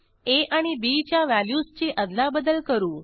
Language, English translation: Marathi, Let us swap the values of variables a and b